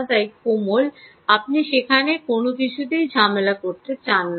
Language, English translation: Bengali, you dont want to disturb anything there